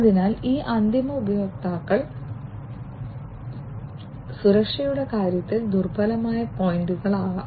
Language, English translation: Malayalam, So, these end users can be the vulnerable points in terms of security